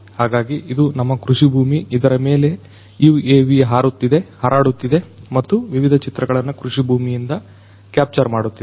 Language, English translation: Kannada, So, this is our agricultural field and it is being you know this UAV is flying and capturing the different images from this agricultural field